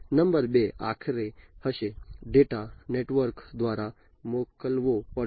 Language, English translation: Gujarati, Number 2 would be the finally, the data will have to be sent through the network